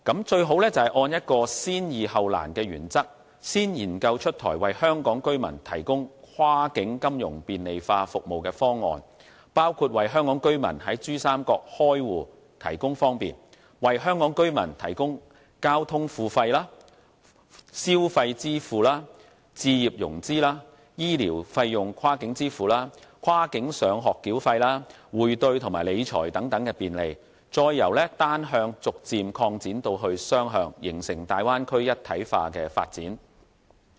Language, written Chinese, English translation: Cantonese, 最好按先易後難的原則，先研究出台為香港居民提供跨境金融便利化服務的方案，包括為香港居民在珠三角開戶提供方便，為香港居民提供交通付費、消費支付、置業融資、醫療費用跨境支付、跨境上學繳費、匯兌及理財等便利，再由單向逐漸擴展至雙向，形成大灣區一體化的發展。, It is best to tackle the easy ones first and the difficult ones later . We should first explore proposals on facilitating cross - boundary financial services for Hong Kong residents including making it easier for Hong Kong residents to open a bank account in banks in Pearl River Delta so that Hong Kong residents can easily make cross - border payments for travel spending property financing health care schooling currency exchange and financial management . We can progress gradually from one - way to dual - way payment with a view to forming a holistic development of the Bay Area